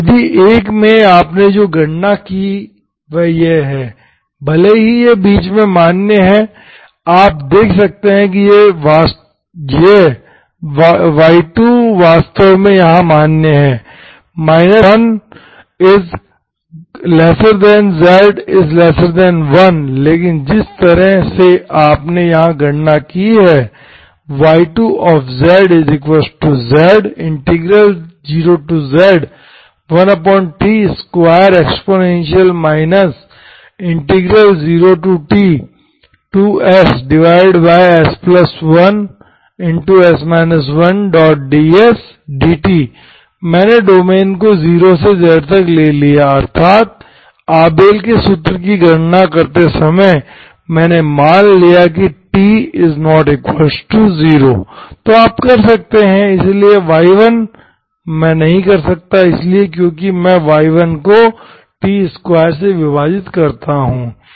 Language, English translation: Hindi, And in the method 1, what you calculated is this, even though it is valid between, you can see that this y2 is actually valid here but the way you calculated here, so I, I took the domain from 0 to z dt, I here, while calculating the Abel’s formula, I assume that T is not equal to 0, okay